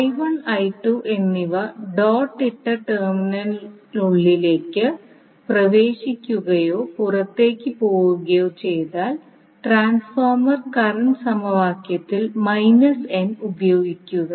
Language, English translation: Malayalam, Now, if current I1 and I2 both enters into the dotted terminal or both leave the dotted terminal, we use minus n in the transformer current equation, otherwise we will use plus n